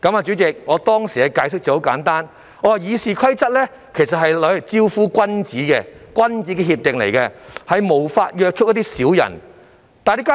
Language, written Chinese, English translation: Cantonese, 主席，我當時的解釋很簡單，我告訴他們，《議事規則》其實是用來招呼君子的，屬於君子協定，故無法約束小人。, President my explanation at that time was pretty simple . I told them that since RoP was a gentlemans agreement that only meant for gentlemen it did not serve the purpose of restraining the villains